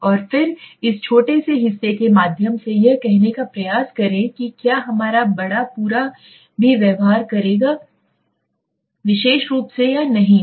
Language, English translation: Hindi, And then try to say through this small part whether our larger whole would also behave in a particular manner or not okay